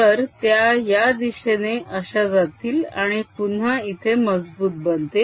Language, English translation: Marathi, so they'll go like this: strong again here